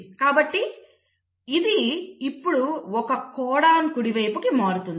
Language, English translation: Telugu, So this now will shift by one codon to the right